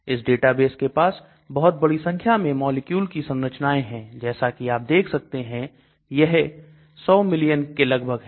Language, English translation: Hindi, This database contains structures of a large number of molecules as you can see 100 million